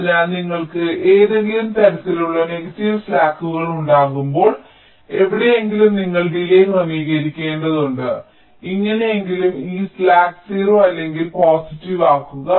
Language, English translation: Malayalam, so whenever you have some kind of negative slacks somewhere, you have to adjust the delays somehow to make this slack either zero or positive